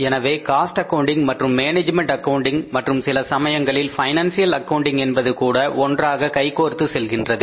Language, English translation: Tamil, So, cost accounting and management accounting and in some cases even the financial accounting goes hand in hand